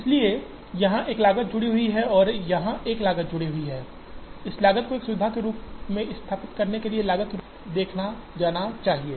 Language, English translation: Hindi, So, there is a cost associated here and there is a cost associated here, this cost should be seen as the cost of setting up a facility